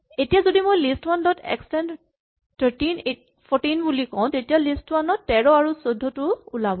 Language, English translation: Assamese, Now if I say list1 dot extend say 13, 14, then list1 now has 13, 14 appearing